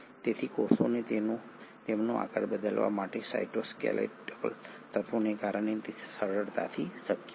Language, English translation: Gujarati, So it is possible easily because of the cytoskeletal elements for the cells to change their shape